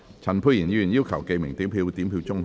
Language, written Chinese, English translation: Cantonese, 陳沛然議員要求點名表決。, Dr Pierre CHAN has claimed a division